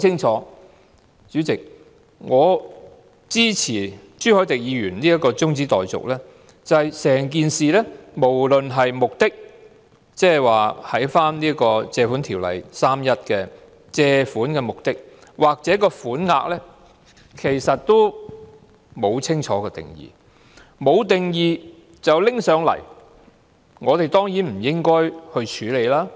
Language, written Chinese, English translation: Cantonese, 主席，我支持朱凱廸議員這項中止待續議案，原因很清楚是在整件事當中，無論是其目的——即《借款條例》第31條所述的借款目的——抑或款額，均沒有清晰定義。, President I support the adjournment motion moved by Mr CHU Hoi - dick . It is crystal clear that in the entire issue both the purpose―that is the purpose of borrowings stipulated in section 31 of the Ordinance―and the amount are not clearly defined